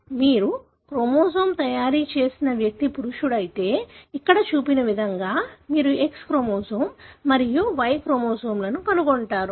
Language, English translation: Telugu, If the individual for whom you have made chromosome preparation is a male, then you would find an X chromosome and a Y chromosome, like what is shown here